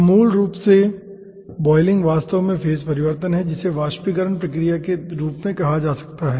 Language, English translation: Hindi, so basically, boiling is actually phase change and which can be ah talked as a vaporization process